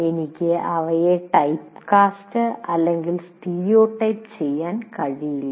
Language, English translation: Malayalam, I cannot what are you called typecast them, stereotype them